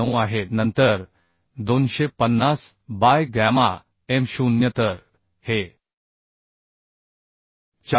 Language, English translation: Marathi, 9 then 250 by gamma m0 for this is becoming 410